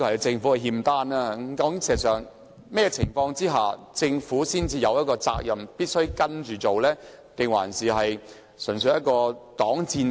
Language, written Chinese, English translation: Cantonese, 事實上，在甚麼情況之下，政府才有責任必須按《規劃標準》行事，還是這純粹是一個擋箭牌？, In fact under what circumstances will the Government be required to comply with HKPSG or is HKPSG only used as a shield by the Government?